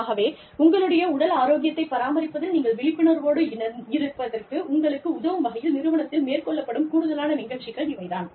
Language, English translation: Tamil, And, these are additional programs, that are run in the organization, to help you become aware of, and maintain your physical health